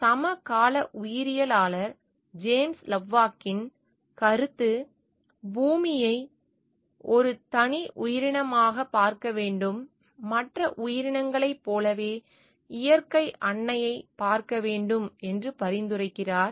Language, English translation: Tamil, It is largely the idea of contemporary biologist James Lovelock who suggested that earth should be viewed as a single organism, Mother nature which leaves like any other organism